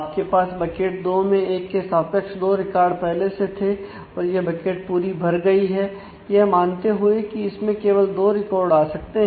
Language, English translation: Hindi, So, you had in bucket two corresponding to 1 you already have 2 records that bucket is full assuming that it can take only 2 records